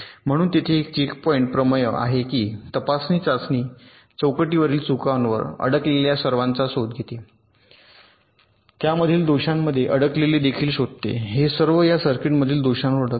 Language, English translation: Marathi, so there is a checkpoint theorem which says that a test set that detects all stuck at faults on the checkpoints also detects stuck at faults in this, all stuck at faults in this circuit